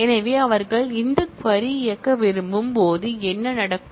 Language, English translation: Tamil, So, what will happen, when they want to execute this query